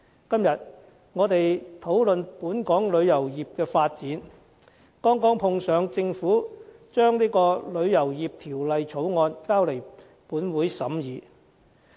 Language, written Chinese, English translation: Cantonese, 今天，我們討論本港旅遊業的發展，剛好碰上政府把《旅遊業條例草案》提交本會審議。, Incidentally when we discuss the development of the tourism industry of Hong Kong today the Government submitted the Travel Industry Bill the Bill to the Legislative Council for scrutiny